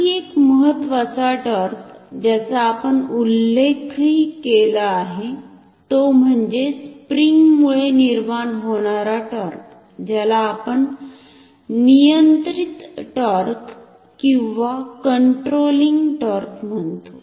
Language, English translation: Marathi, Another important torque which we also have mentioned is the torque due to this spring, which you call the controlling torque